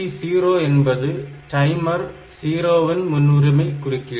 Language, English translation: Tamil, So, PT1 is the priority of timer 1 interrupt